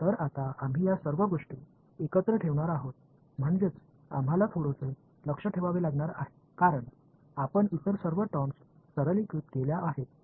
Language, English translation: Marathi, So, now, we are going to put all of these chunks together this is that term we have to keep a bit of eye on right, because all other terms you simplified